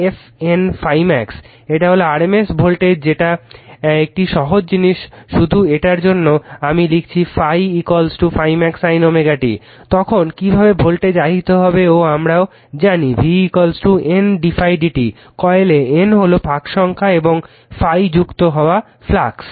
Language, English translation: Bengali, This is the RMS voltage a simple thing just for this thing I have written the phi is equal to flux is phi is equal to phi max sin omega t then, how the voltage will be induced and we know v is equal to, N d phi by d t in coil you have N number of tones and phi is the flux linkage